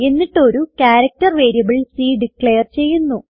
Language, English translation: Malayalam, Then we have declared a character variable c